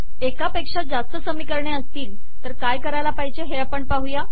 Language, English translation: Marathi, What do you do when you have more than one equation